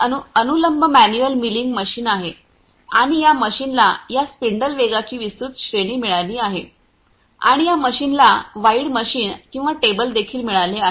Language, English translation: Marathi, This is the vertical manual milling machine and this machine has got wide range of this spindle speed and this machine has got wide machine or t able as well